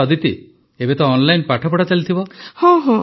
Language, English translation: Odia, Ok Aditi, right now you must be studying online